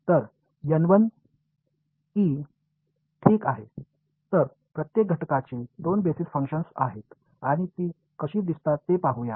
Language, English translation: Marathi, So, N e 1 ok so, each element has two basis functions and let us see what they look like